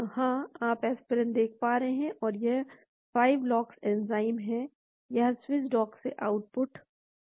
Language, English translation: Hindi, Yeah, you can see the aspirin here and this is the 5 lox enzyme , this is the output from the Swiss dock